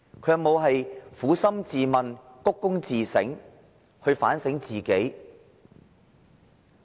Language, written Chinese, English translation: Cantonese, 他有否撫心自問，反躬自省，反省自己呢？, Had he reflected on his mistake wholeheartedly? . Had he engaged himself in self - reflection?